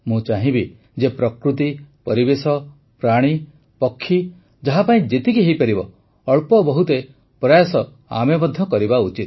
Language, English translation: Odia, I would like that for nature, environment, animals, birdsor for whomsoever small or big efforts should be made by us